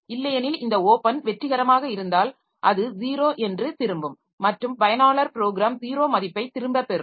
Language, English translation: Tamil, Otherwise, if this open was successful, then it will return a zero and the user program will be getting back a value zero